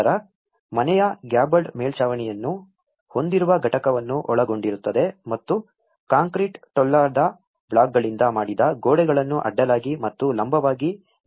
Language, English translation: Kannada, Then the house is consisted of a unit with a gabled roof and walls of made of concrete hollow blocks reinforced horizontally and vertically